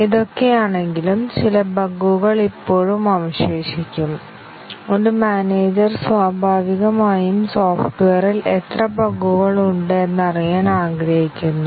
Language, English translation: Malayalam, In spite of all that, some bugs will be still left behind and a manager naturally would like to know, how many bugs are there in the software